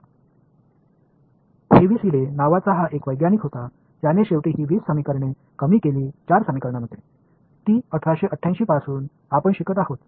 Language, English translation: Marathi, Then there was this scientist by the name of Heaviside who condense these 20 equations finally, into 4 equations which is what we have been studying since 1888 right